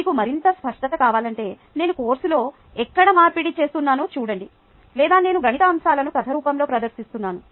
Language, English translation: Telugu, if you want better clarity, just wait through the course, see where i am converting, or i am presenting mathematical aspects in the form of story